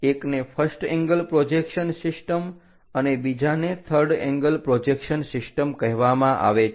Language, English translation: Gujarati, To know more about this first angle projection system or third angle projection system